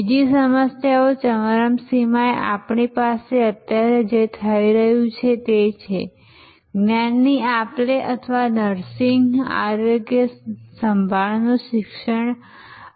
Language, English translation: Gujarati, At the other extreme we have what is happening right now here, teaching exchange of knowledge or nursing, healthcare